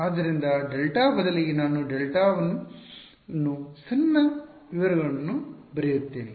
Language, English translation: Kannada, So, instead of delta, I will write delta 1 the minor details